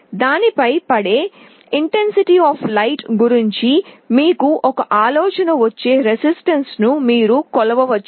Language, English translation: Telugu, You can measure the resistance that will give you an idea about the intensity of light that is falling on it